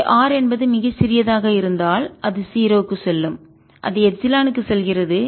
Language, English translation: Tamil, if r is very small, r going to epsilon, which is going to zero, this goes four pi c epsilon zero